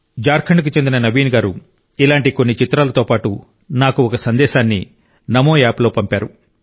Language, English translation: Telugu, Naveen from Jharkhand has sent me a message on NamoApp, along with some such pictures